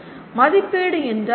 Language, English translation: Tamil, What is assessment